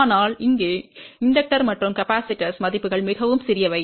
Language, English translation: Tamil, But over here, the inductor and capacitor values are very very small